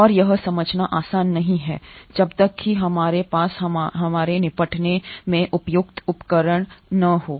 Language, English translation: Hindi, And itÕs not easy to understand unless we have appropriate tools at our disposal